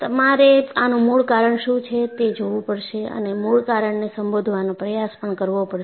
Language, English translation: Gujarati, So, you have to look at what is the root cause and try to address the root cause